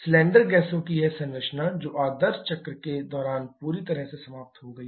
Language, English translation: Hindi, This composition of cylinder gases that has been completely eliminated during the ideal cycle